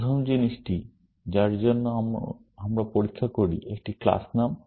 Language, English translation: Bengali, The first thing, we test for, is a class name